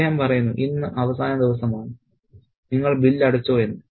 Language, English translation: Malayalam, He says that today is the last day, have you paid the bill